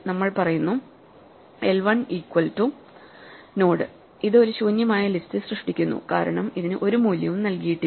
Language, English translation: Malayalam, We say l1 is equal to node; this creates an empty list because it is not provided any value